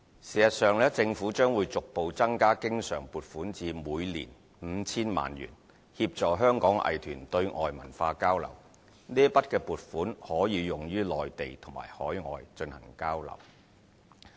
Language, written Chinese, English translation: Cantonese, 事實上，政府將會逐步增加經常撥款至每年 5,000 萬元，協助香港藝團對外文化交流，這筆撥款可以用於內地及海外進行交流。, In fact the Government will progressively increase the recurrent provision to 50 million to support Hong Kongs arts groups in conducting outbound cultural exchanges . The provision can be used for exchanges in the Mainland and overseas